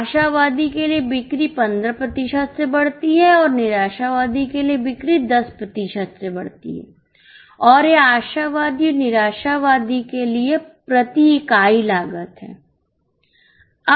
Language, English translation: Hindi, For optimist sale increases by 15% for pessimist sale increases by 10% and this is the cost per unit for optimist and pessimistic